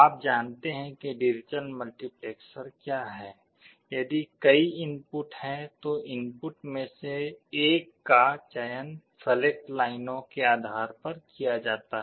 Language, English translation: Hindi, You know what is the digital multiplexer is; if there are multiple inputs, one of the inputs are selected based on the select lines